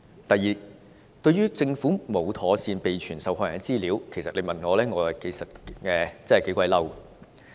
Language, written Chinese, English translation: Cantonese, 第二，對於政府沒有妥善備存受害人的資料，如果問我，我是頗憤怒的。, Secondly if you ask me I am rather enraged by the fact that the Government has not properly maintained the figures on victims